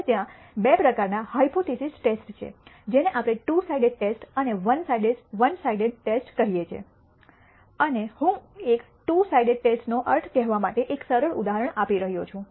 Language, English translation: Gujarati, Now, there are two types of hypothesis tests what we call the two sided test and the one sided test and I am giving a simple illustration to tell you what a two sided test means